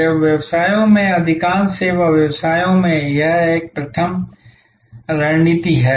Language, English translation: Hindi, In service businesses, in most service businesses this is a primary strategy